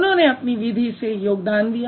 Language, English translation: Hindi, They contributed in their own way